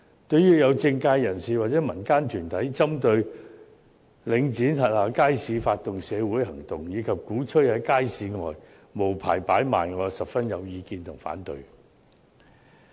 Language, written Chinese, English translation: Cantonese, 對於有政界人士或民間團體針對領展轄下街市，發動社會行動，以及鼓吹在街市外無牌擺賣，我甚有意見和反對。, I hold a strong view against and objection to some political figures or community groups initiating social actions against the markets of Link REIT and advocating unlicensed hawking outside the markets